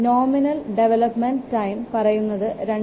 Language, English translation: Malayalam, The nominal development time can be expressed as 2